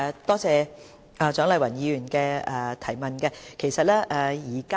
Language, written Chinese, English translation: Cantonese, 多謝蔣麗芸議員的質詢。, I thank Dr CHIANG Lai - wan for the question